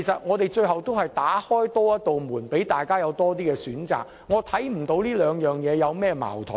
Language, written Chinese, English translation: Cantonese, 我們是多打開一扇門，讓大家有更多選擇，我看不到兩者有何矛盾。, We are opening one more door so that they can have more options and I cannot see that the two directions are contradictory to each other